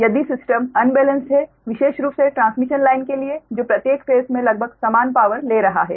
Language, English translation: Hindi, if system is unbalanced, particularly for the transmission line, that each phase is carrying almost the same power, its a balanced system